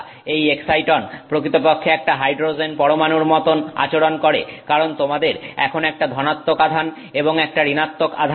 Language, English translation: Bengali, This excite on actually behaves somewhat like an hydrogen atom because you now have one positive charge and one negative charge